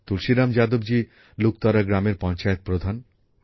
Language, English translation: Bengali, Tulsiram Yadav ji is the Pradhan of Luktara Gram Panchayat